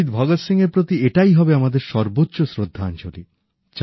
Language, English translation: Bengali, That would be our biggest tribute to Shahid Bhagat Singh